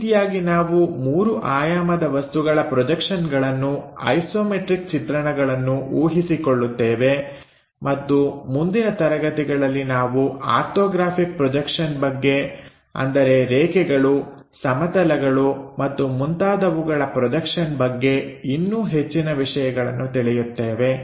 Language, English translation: Kannada, So, this is the way, we guess the projections for given 3D objects isometric views and in next class onwards, we will look at more details about Orthographic Projections like lines, planes and other things and that is part will be a separate module